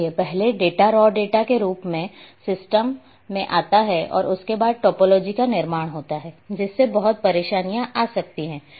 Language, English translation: Hindi, So, first the data raw data will come into the system and topology used to be constructed and it gave lot of problem